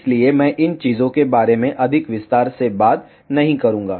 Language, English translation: Hindi, So, I will not talk more in detail about these things